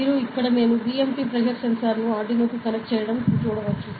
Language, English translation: Telugu, So, you can see here, I have connected the BMP pressure sensor to the Arduino due, ok